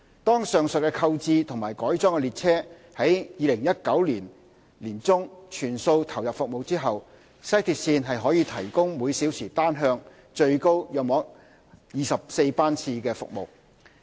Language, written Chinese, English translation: Cantonese, 當上述購置和改裝的列車於2019年年中全數投入服務後，西鐵線可提供每小時單向最高約24班次的服務。, After all these new and modified trains have been put into service by mid - 2019 WRL will be able to serve in a maximum hourly frequency of 24 trains per direction